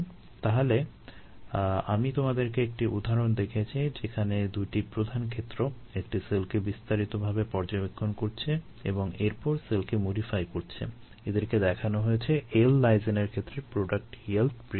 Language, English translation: Bengali, so i have shown you an example where the two major aspects one is looking at the cell in detail and then modify the cell are have both been ah shown to improve the yield of the product